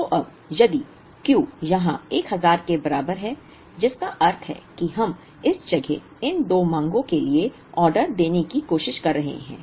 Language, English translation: Hindi, So now, if Q equal to 1000 here which means we are trying to order for these two demands in this place